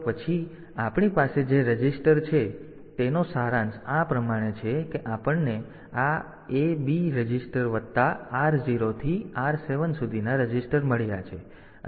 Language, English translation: Gujarati, So, next so the to summarize the registers that we have is are like this we have got this A B registers plus the registers R 0 through R 7 then